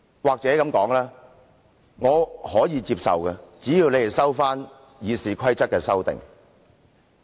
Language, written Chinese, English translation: Cantonese, 或許這樣說，我可以接受，只要建制派撤回對《議事規則》的修訂。, Maybe I should put it this way I can accept it as long as the pro - establishment camp withdraws its amendments to RoP